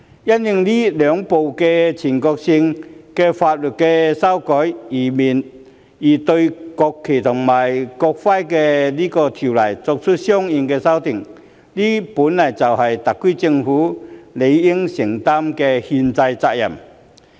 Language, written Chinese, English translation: Cantonese, 因應這兩項全國性法律的修改而對《國旗及國徽條例》作出相應修訂，本來就是特區政府理應承擔的憲制責任。, It is actually the constitutional responsibility of the SAR Government to make corresponding amendments to NFNEO in the light of the amendments to the two national laws